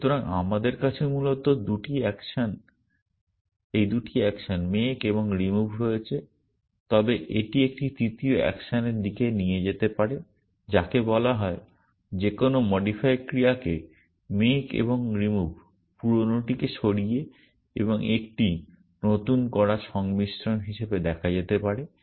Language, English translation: Bengali, So, we have the so basically we have this 2 actions make and remove, but these can lead to a third action called, any modify action can be seen as a combination of make and remove, remove the old one and put in a new one, it is like modify